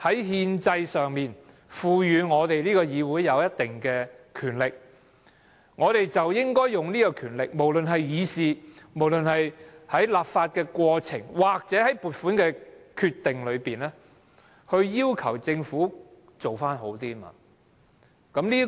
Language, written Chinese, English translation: Cantonese, 憲制上賦予議會有一定的權力，我們便應該運用這權力，無論是透過議事、立法過程或撥款決定，要求政府做得好一點。, Since this Council has certain constitutional powers we should use these powers to ask the Government to do a better job through discussions the legislative process or funding decisions